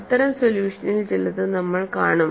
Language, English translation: Malayalam, We would see some of those solutions